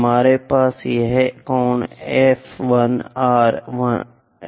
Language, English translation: Hindi, We have this angle F 1 R F 2